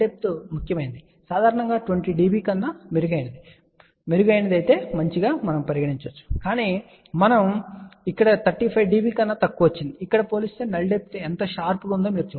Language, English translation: Telugu, In fact, generally better than 20 dB is considered decent, but we got over here less than 35 dB, you can see that compared to here see how sharp the null depth